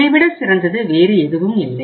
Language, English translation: Tamil, There is nothing better than this